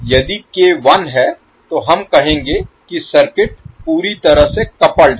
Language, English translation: Hindi, So if k is 1, we will say that the circuit is perfectly coupled